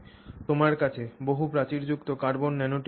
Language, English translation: Bengali, So, you have multi walt carbon nanotubes